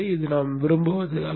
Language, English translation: Tamil, This is not what we want